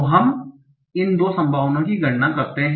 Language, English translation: Hindi, So let us compute these probabilities